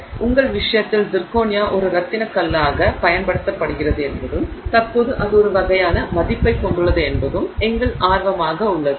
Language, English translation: Tamil, So, in our case our interest is in the fact that Zirconia is used as a gemstone and presently that is the kind of value it has